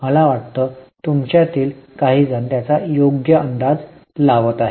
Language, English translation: Marathi, I think some of you are guessing it correctly